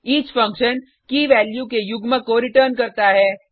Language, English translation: Hindi, each function returns the key/value pair